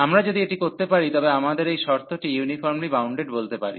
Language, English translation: Bengali, So, in that case we call that this is uniformly bounded